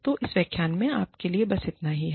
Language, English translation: Hindi, So, that is all i have, for you in this lecture